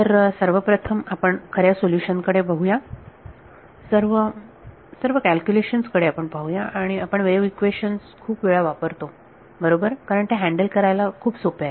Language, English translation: Marathi, So, let us first look at the true solution, will notice in all of these calculations we use the wave equation a lot right because it is very easy to handle